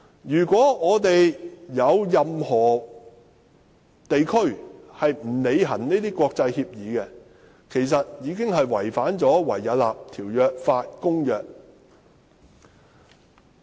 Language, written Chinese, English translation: Cantonese, 如果有任何地區未有履行這些國際協議，便會違反《維也納條約法公約》。, Failure to honour these international agreements in any area would contravene the Vienna Convention